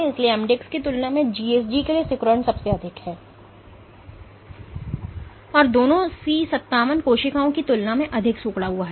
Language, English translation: Hindi, So, contractility is highest for gsg compared to mdx, and both of them are more contractile than C57 cells